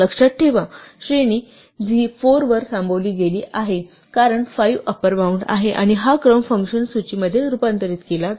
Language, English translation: Marathi, Remember, the range was stopped at 4 because 5 is the upper bound and this sequence will be converted to a list by the function list